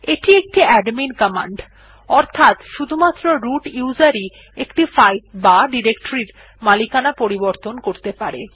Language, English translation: Bengali, This is an admin command, root user only can change the owner of a file or directory